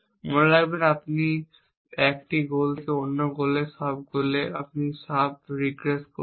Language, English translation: Bengali, Remember that you have regressing from 1 goal to another sub goal to another sub goal to another sub